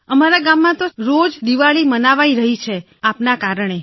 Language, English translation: Gujarati, Sir, Diwali is celebrated every day in our village because of you